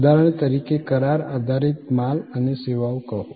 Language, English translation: Gujarati, For example, say the contractual goods and services